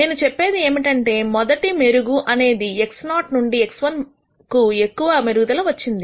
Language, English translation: Telugu, What I mean is I the very first improvement when we went from X naught to X 1 was a large improvement